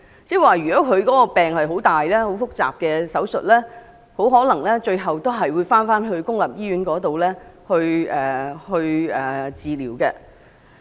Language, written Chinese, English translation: Cantonese, 即如果患病者需要接受複雜的手術，最終可能也會返回公營醫院接受治療。, Patients who require complex operations may end up returning to a public hospital for treatment